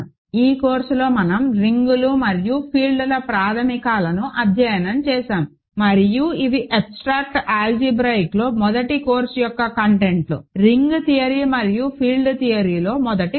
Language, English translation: Telugu, In this course we have studied basics of rings and fields and these are contents of a first course in abstract algebra, first course in ring theory and field theory